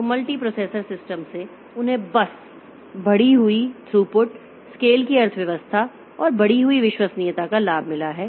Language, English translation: Hindi, So, multiprocessor systems, they have got the advantage of this increased throughput, economy of scale and increased reliability